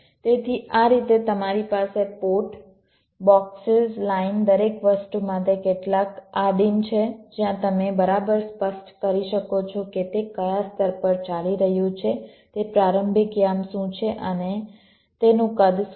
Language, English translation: Gujarati, so in this way you have some primitives for the ports, the boxes, lines, everything where you can exactly specify which layer it is running on, what is it starting coordinate and what is it size